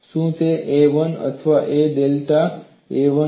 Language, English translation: Gujarati, Is it a 1 or a 1 plus delta a 1